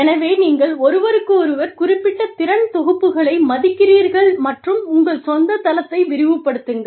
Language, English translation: Tamil, So, you respect each other, specific skill sets, and expand your own base